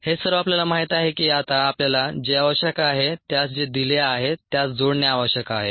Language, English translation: Marathi, all this we know and now we need to connect what is needed to what is given